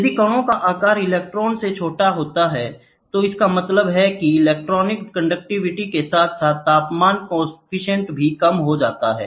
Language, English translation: Hindi, If the grain size smaller than an electron, mean free path the electronic conductivity as well as the temperature coefficient decreases